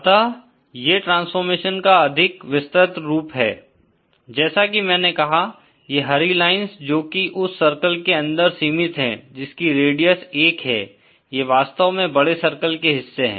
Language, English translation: Hindi, So, this is a more elaborate view of the transformation, as I said, these green lines which are confined within the circle having radius 1, they are actually the portions of bigger circles